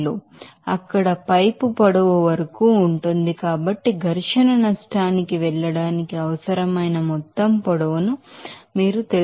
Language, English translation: Telugu, 01 meter per second is square then you have to multiply by the length of this you know pipe whatever required total length to get to the frictional loss as 0